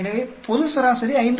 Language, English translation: Tamil, So, the global average is 5